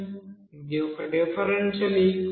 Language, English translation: Telugu, This is one differential equation